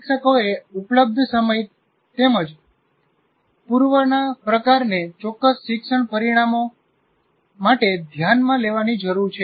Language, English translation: Gujarati, So the teachers need to consider the time available as well as the type of rehearsal appropriate for specific learning outcome